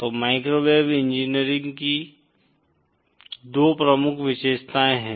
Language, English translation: Hindi, So there are 2 major features of microwave engineering